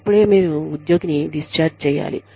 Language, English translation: Telugu, Should you discharge the employee